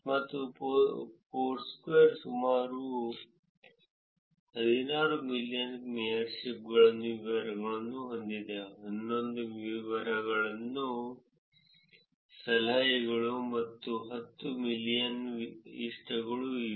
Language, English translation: Kannada, And Foursquare has details of about 16 million mayorship; 11 million tips and close to 10 million likes